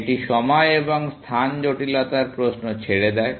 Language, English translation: Bengali, That leaves the question of time and space complexity